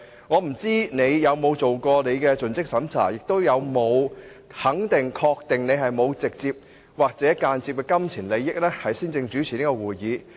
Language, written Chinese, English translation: Cantonese, 我不知道你有否作盡職審查，以及有否先肯定、確定自己沒有直接或間接的金錢利益，才主持這個會議。, I wonder if you have ever carried out relevant due diligence exercises and ascertained that you do not have any direct or indirect pecuniary interest in the matter under consideration prior to taking the chair to preside over this meeting